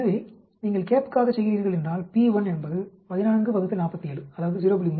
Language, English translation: Tamil, So, if you are doing for a CAP, 14 will take p1 as cap 14 by 47 is 0